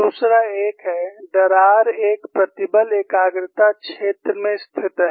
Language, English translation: Hindi, Second one is crack is situated in a stress concentration zone